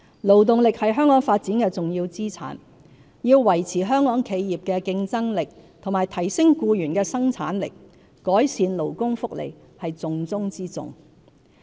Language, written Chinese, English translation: Cantonese, 勞動力是香港發展的重要資產，要維持香港企業的競爭力及提升僱員的生產力，改善勞工福利是重中之重。, Labour force is an important asset to the development of Hong Kong . It is our top priority to improve our labour welfare in order to maintain the competitiveness of Hong Kong enterprises and enhance employees productivity